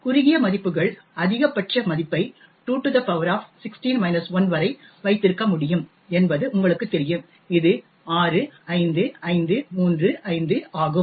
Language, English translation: Tamil, As you know short values can hold the maximum value up to 2 power 16 minus 1 which is a 65535